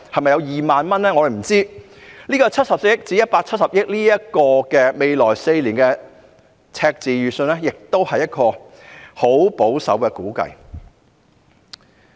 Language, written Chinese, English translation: Cantonese, 不過，未來4年由74億元至170億元的赤字預算只是十分保守的估計。, However deficits ranging from 7.4 billion to 17 billion for the next four years are indeed very conservative estimates